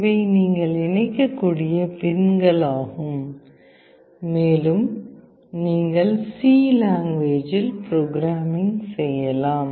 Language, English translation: Tamil, These are the pins through which you can connect and you can do programming with